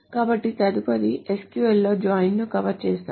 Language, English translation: Telugu, So we will next cover the join in SQL